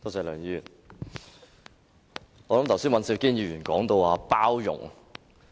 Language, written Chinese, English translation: Cantonese, 梁議員，剛才尹兆堅議員提到包容。, Mr LEUNG just now Mr Andrew WAN talked about tolerance